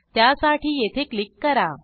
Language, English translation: Marathi, Click on here to register